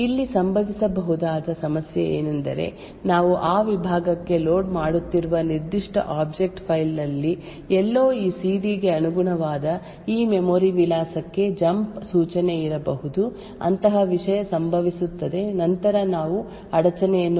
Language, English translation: Kannada, The problem that could occur over here is that somewhere in the particular object file which we are loading into that segment there could be a jump instruction to this memory address corresponding to this CD such a thing happens then we obtain an interrupt which is going to be unsafe